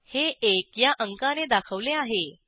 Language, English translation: Marathi, It is denoted by number one